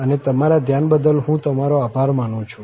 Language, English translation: Gujarati, And, I thank you for your attention